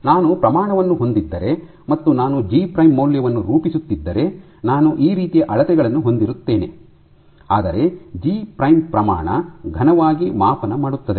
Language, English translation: Kannada, So, I have if I have concentration and I am plotting G prime value I will have values which will scale like this, but G prime roughly scales as concentration cubed